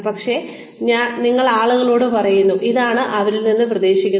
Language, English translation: Malayalam, But, you tell people that, this is expected of them